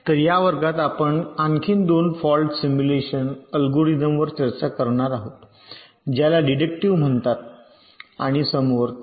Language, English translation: Marathi, so in this class ah, we shall be discussing two more fault simulation algorithms, called deductive and concurrent